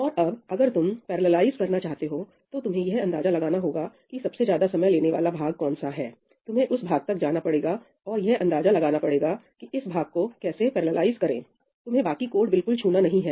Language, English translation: Hindi, And now, if you want to parallelize, figure out which is the most time consuming part, go to that part and just figure out how to parallelize that part; you do not have to touch the remaining code